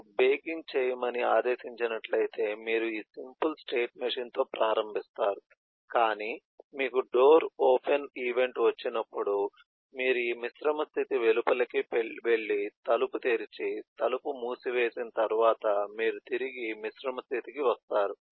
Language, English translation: Telugu, if you have instructed to do baking, the, you start with this simple state machine and but when you get a door open event, you go to go outside of this composite state and do the door open and once the door is closed, you come back to the composite state